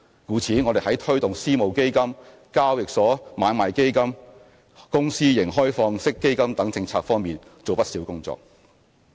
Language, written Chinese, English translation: Cantonese, 故此我們在推動私募基金、交易所買賣基金、公司型開放式基金等政策方面做了不少工作。, Hence much has been done in areas such as the formulation of policies on promoting private equity funds exchange traded funds and open - ended fund company structure